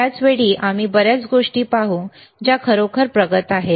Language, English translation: Marathi, At the the same time, we will see lot of things which are really advanced right